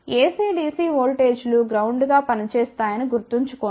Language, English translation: Telugu, Remember for AC DC voltages act as ground